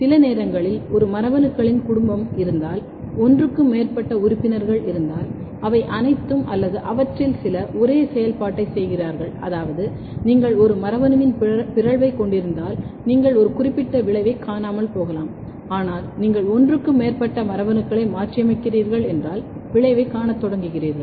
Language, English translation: Tamil, Another important thing is the genetic redundancy, genetic redundancy happens that sometime if there is a family of a genes, there are more than one members in a particular family, what happens that they all or some of them are doing the same function, which means that if you have mutant of one gene, you might not see a significant effect, but if you mutate more than one genes you start seeing the effect this is called genetic redundancy